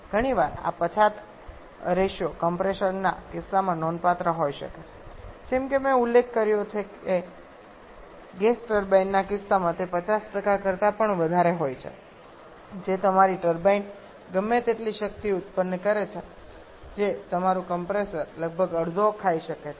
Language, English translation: Gujarati, Quite often this backward ratio can be significant in case of compressors in case of gas turbines as I mentioned it can even be greater than 50% that is whatever power your turbine is producing your compressor may eat up almost half of that